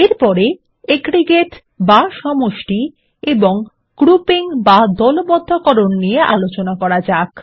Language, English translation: Bengali, Next, let us learn about aggregates and grouping